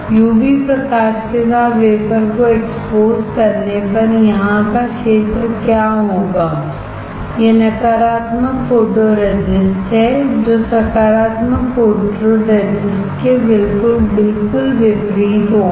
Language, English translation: Hindi, On exposing the wafer with UV light what will happen the area here it is negative photoresist which is opposite to for positive photoresist